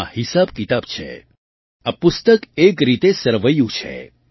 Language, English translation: Gujarati, With accounts in it, this book is a kind of balance sheet